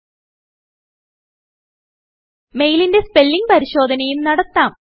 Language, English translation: Malayalam, You can also do a spell check on your mail